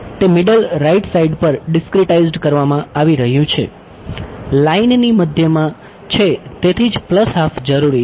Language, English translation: Gujarati, It is being discretized in the middle right; middle of the line so that is why the plus half is necessary